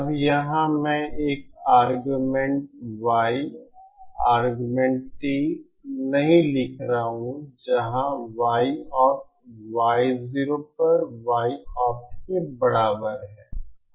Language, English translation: Hindi, Now here I am not writing the argument Y argument T where small Y opt is equal to Y opt on Y 0